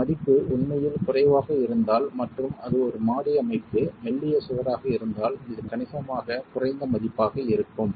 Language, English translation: Tamil, If this value is really low and if it is a single storage structure, slender wall this is going to be a significantly low value